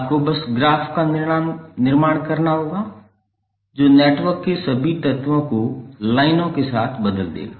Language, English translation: Hindi, You have to simply construct the graph which will replace all the elements of the network with lines